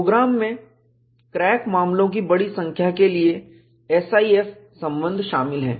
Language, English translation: Hindi, The program contains a SIF relations for a large number of crack cases